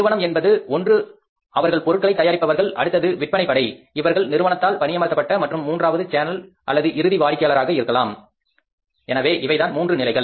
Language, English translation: Tamil, One is the firm who is a manufacturer then the sales force who is employed by the firm and third one is the channel or maybe the final customer so these are the three levels